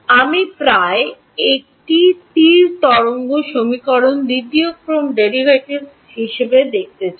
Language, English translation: Bengali, I want an approximation see the first the wave equation as second order derivatives